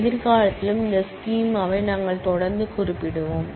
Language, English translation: Tamil, We will keep on regularly referring to this schema in future as well